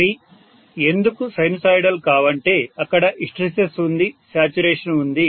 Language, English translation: Telugu, They are non sinusoidal because hysteresis is there, saturation is there